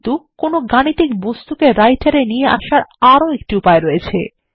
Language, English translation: Bengali, But there is another way to bring up the Math object into the Writer